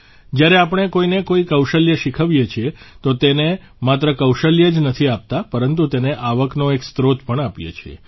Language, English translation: Gujarati, When we teach someone a skill, we not only give the person that skill; we also provide a source of income